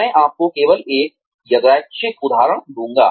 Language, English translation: Hindi, I will just give you a random example